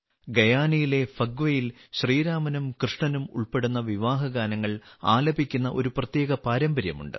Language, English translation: Malayalam, In Phagwa of Guyana there is a special tradition of singing wedding songs associated with Bhagwan Rama and Bhagwan Krishna